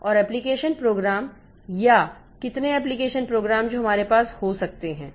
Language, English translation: Hindi, And this application pro system and application programs, so how many application programs that we can have